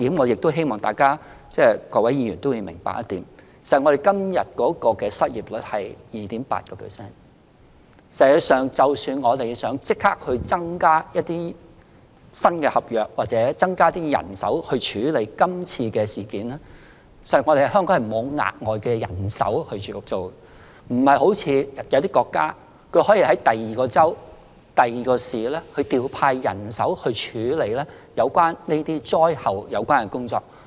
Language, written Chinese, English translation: Cantonese, 不過，我希望各位議員明白一點，香港現時的失業率是 2.8%， 即使我們想立即增加新合約或人手處理今次的事件，實際上，香港也再沒有可供隨時調動的額外人手，不像某些國家可在其他州或市調派人手處理風災的善後工作。, Yet I hope Members will appreciate the fact that given Hong Kongs current unemployment rate of 2.8 % there was actually no additional local manpower available for deployment readily even though we wanted to deal with the typhoon aftermath either by increasing immediately the number of new service contracts or manpower unlike some countries where manpower from other states or cities can be deployed to undertake recovery efforts in the wake of typhoons